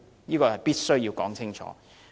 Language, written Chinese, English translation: Cantonese, 這是必須說清楚的。, This point must be made clear